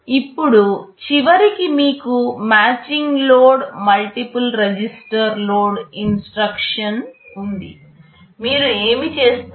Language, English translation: Telugu, Now at the end you have a matching load multiple register load instruction, what you do